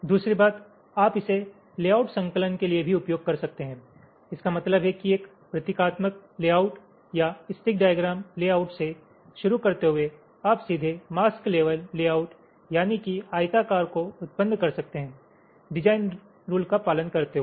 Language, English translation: Hindi, compilation means starting from a symbolic layout or stick diagram layout, you can directly generate the mask level layout, the rectangles, following the design rules